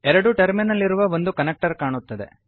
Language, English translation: Kannada, A two terminal connector will appear